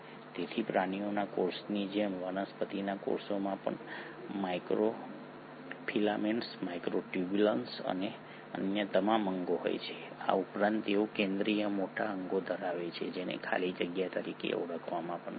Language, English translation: Gujarati, So like animal cells, the plant cells also has microfilaments, microtubules and all the other organelles plus they end up having a central large organelle which is called as the vacuole